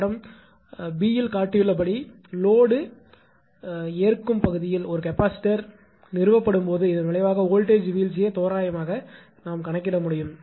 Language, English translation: Tamil, When a capacitor is installed at the receiving end line as shown in figure b, the resultant voltage drop can be calculated approximately